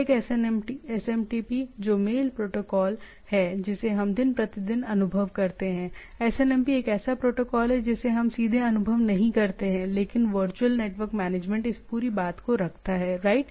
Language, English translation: Hindi, One SMTP that is the mail protocol which we experienced day in day out, SNMP as such we do not experience directly, but virtually the management of the network keeps this whole thing running, right